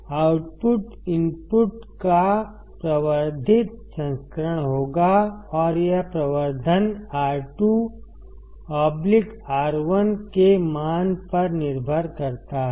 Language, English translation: Hindi, Output would be amplified version of the input and that amplification depends on the value of R2 by R1